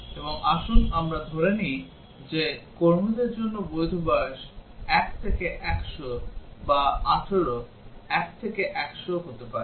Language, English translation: Bengali, And let us assume that the valid age for employees is 1 to 100 or may be 18, 1 to 100